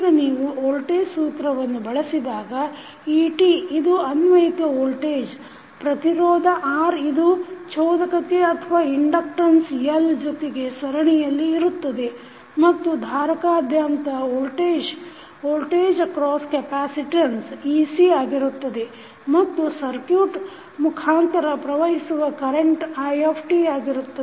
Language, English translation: Kannada, Now, when you use the voltage law so et is the applied voltage, we have resistance R in series with inductance L and the voltage across capacitance is ec and current flowing through the circuit is it